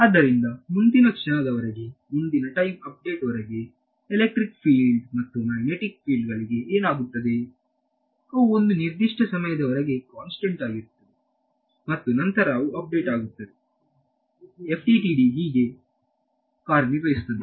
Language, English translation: Kannada, So, until the next time instant until a next time update what happens to the electric fields and magnetic fields they remain constant right for a given time interval their constant and then they get updated, that is how FDTD works there is no analytical evolution